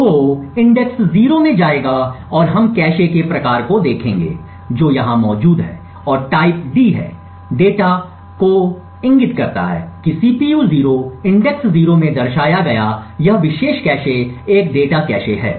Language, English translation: Hindi, So will go into index 0 and we will look at the type of cache which is present over here and the type is D, data which indicates that this particular cache represented at CPU 0 index 0 is a data cache